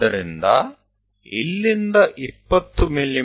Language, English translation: Kannada, This is 20 mm